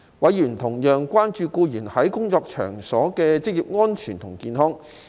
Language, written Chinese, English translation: Cantonese, 委員同樣關注僱員在工作場所的職業安全及健康。, Members were also concerned about employees occupational safety and health OSH at workplaces